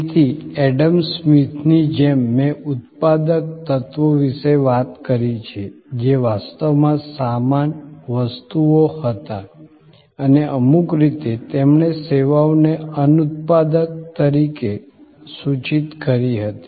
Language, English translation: Gujarati, So, like Adam Smith I have talked about productive elements, which were actually the goods, objects and in some way, he connoted services as unproductive